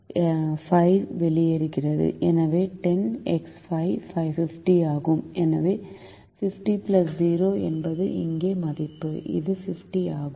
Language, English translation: Tamil, so fifty plus zero is the value here, which is fifty